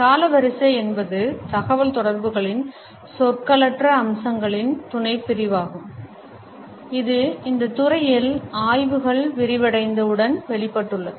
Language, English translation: Tamil, Chronemics is a subcategory of nonverbal aspects of communication which has emerged as the studies in this field broadened